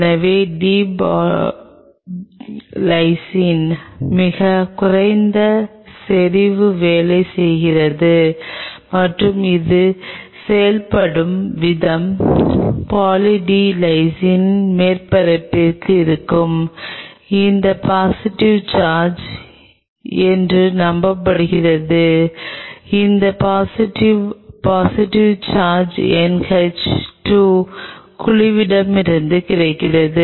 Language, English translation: Tamil, So, with Poly D Lysine a very low concentration does work and the way it works it is believed to be these positive charges which are on the surface of Poly D Lysine these positively positive charge is from NH 2 groups which are present there interact with the surface negative charge of the cell possibly this is what is believed